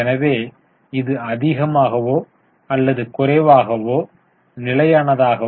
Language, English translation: Tamil, So, it's more or less constant